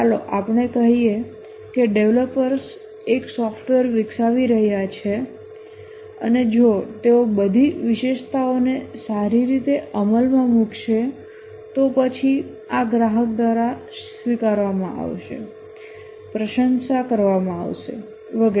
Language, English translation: Gujarati, Let's say the developers are developing a software and if they implement all the features well then this will be accepted by the customer appreciated and so on